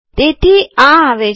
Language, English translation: Gujarati, So these have come